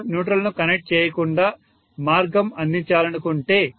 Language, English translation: Telugu, If I want to provide the path without connecting the neutral, right